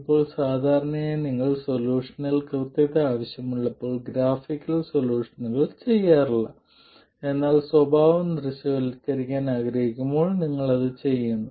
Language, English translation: Malayalam, Now usually you don't do graphical solutions when you want accuracy in the solution but you do it when you want to visualize the behavior